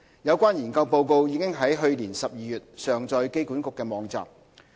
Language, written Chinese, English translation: Cantonese, 有關研究報告已於去年12月上載機管局網站。, The relevant report has been uploaded onto AAs web page in December last year